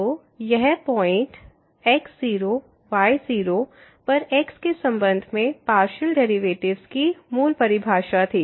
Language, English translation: Hindi, So, the partial derivative with respect to at 0 0 is 0